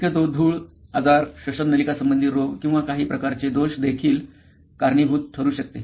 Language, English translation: Marathi, Possibly dust can also cause illness, bronchial diseases or some sort of defects